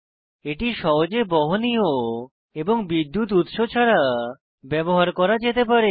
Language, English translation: Bengali, Hence, it is portable and can be used away from a power source